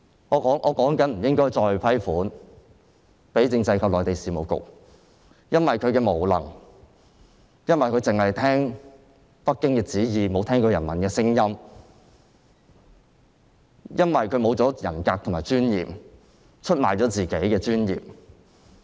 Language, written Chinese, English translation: Cantonese, 我正談及不應再撥款給政制及內地事務局，因為局長無能，只聽北京的旨意，沒有聽人民的聲音，沒有人格尊嚴，出賣了自己的尊嚴。, I am saying that we should not approve any funding for the Constitutional and Mainland Affairs Bureau for the reason that the Secretary is incompetent follows only the order of Beijing and fails to listen to peoples voices . He maintains no personal dignity